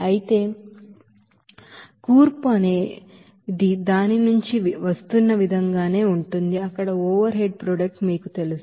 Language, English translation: Telugu, Whereas, the composition will be the same as that it is coming from the, you know overhead product there